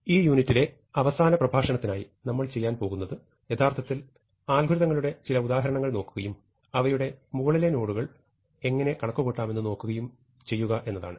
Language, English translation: Malayalam, The last lecture in this unit, what we are going to do is, actually look at some examples of algorithms and see how to compute their upper bounds